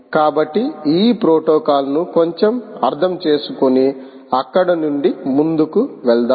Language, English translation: Telugu, so let us see understand a little bit of this protocols and move on from there